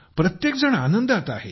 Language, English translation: Marathi, All are delighted